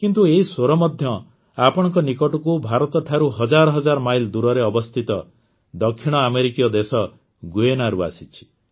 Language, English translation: Odia, But these notes have reached you from Guyana, a South American country thousands of miles away from India